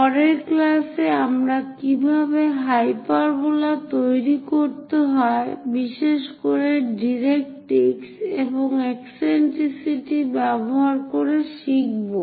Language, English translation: Bengali, In the next class we will learn about how to construct hyperbola, especially using directrix and eccentricity